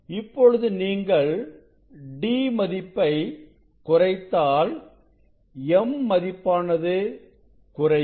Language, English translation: Tamil, If you decrease this d, so m will decrease then what will happen